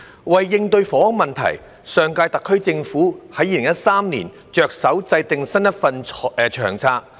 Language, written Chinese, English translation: Cantonese, 為應對房屋問題，上屆特區政府在2013年着手制訂新一份《長策》。, To address the housing problem the last - term SAR Government started to formulate a new LTHS in 2013